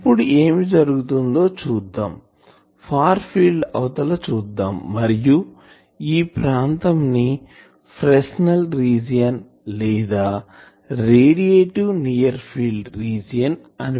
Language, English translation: Telugu, So, beyond this is the far field and this region in this region this is called Fresnel region or also it is called radiative near field region